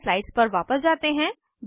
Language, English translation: Hindi, Let us switch back to our slides